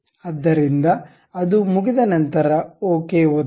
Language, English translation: Kannada, So, once it is done, click ok